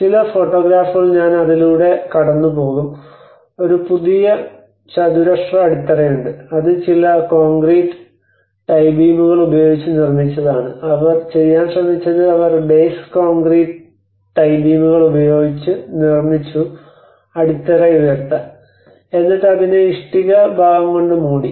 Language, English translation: Malayalam, So some of the photographs I will go through it and then so there is a new square bases which has been constructed using some concrete tie beams and what they tried to do is they made the bases with the tie beams to raise the plinth, and then they covered with the brick part of it